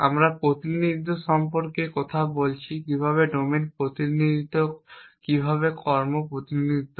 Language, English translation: Bengali, We are talking about representation how to represent domains how to represent actions